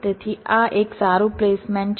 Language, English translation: Gujarati, so this is a good placements